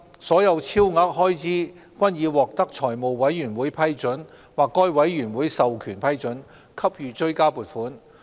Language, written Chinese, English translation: Cantonese, 所有超額開支均已獲得財務委員會批准或該委員會授權批准，給予追加撥款。, The Government has either sought the Finance Committees approval for or approved under an authority delegated by the Committee supplementary provisions for all the additional expenditure